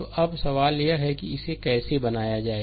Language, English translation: Hindi, So now, question is that ah ah how to make it